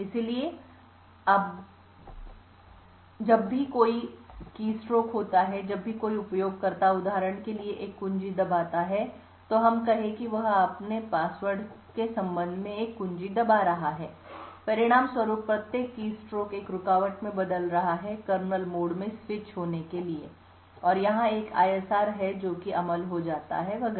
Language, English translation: Hindi, So whenever there is a keystroke that is whenever a user presses a key for example let us say he is pressing a key with respect to his password, each keystroke results in an interrupt the interrupt results in a switch to kernel mode, there is an ISR that gets executed and so on